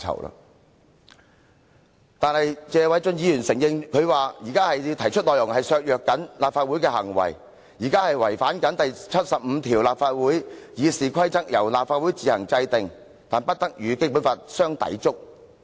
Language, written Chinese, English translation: Cantonese, 可是，正如謝偉俊議員所說，他們提出的修訂內容是會削弱立法會，同時亦違反《基本法》第七十五條第二款，即"立法會議事規則由立法會自行制定，但不得與本法相抵觸。, But as Mr Paul TSE has said their amendments will weaken the Legislative Council and at the same time breach Article 752 of the Basic Law which provides that the rules of procedure of the Legislative Council shall be made by the Council on its own provided that they do not contravene this Law